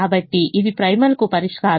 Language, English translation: Telugu, so this is the solution to the primel